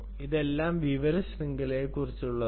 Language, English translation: Malayalam, this is all about information network